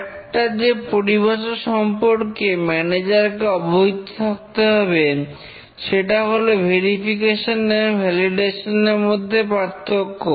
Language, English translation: Bengali, Another terminology that a manager needs to be aware is the difference between verification and validation